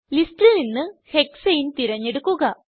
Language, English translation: Malayalam, Select the file named Hexane from the list